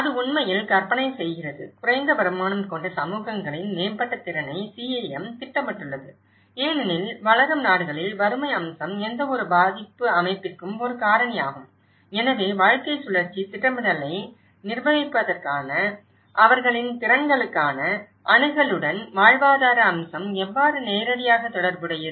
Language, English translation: Tamil, And it actually envisages; CAM envisages improved capacity of low income communities because in developing countries, the poverty aspect is one of the holding factor for any kind of vulnerability setup so, how the livelihood aspect is directly related to the access to their capacities for the management of lifecycle planning so, it is not about only we are dealing with the situation itself, we have to look at how the continuity works out in a lifecycle planning approach